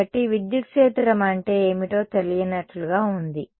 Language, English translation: Telugu, So, far its seems like it is not known I mean a what is electric field